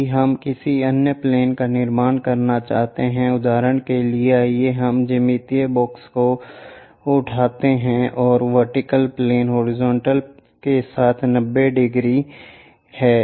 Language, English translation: Hindi, If we want to construct any other plane, for example, let us pick the geometry box vertical plane is 90 degrees with the horizontal